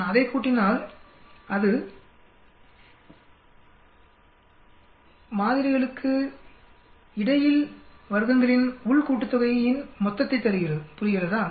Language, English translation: Tamil, If I add that will give me total of between sum of squares here between the samples, understand